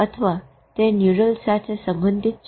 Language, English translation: Gujarati, Or it is neural correlates